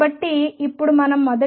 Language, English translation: Telugu, So, let us now first try f x equals x